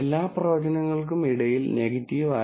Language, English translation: Malayalam, Among all the predictions for as negative